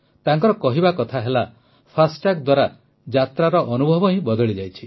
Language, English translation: Odia, She says that the experience of travel has changed with 'FASTag'